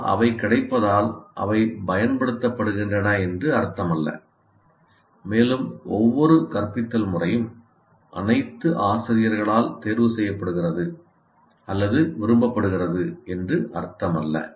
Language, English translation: Tamil, But just because they're available, it doesn't mean they're used and it doesn't mean that every method is preferred or liked by all teachers and so on